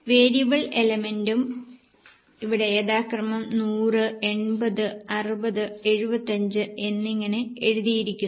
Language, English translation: Malayalam, Variable element is also written over here, 180, 60 and 75 respectively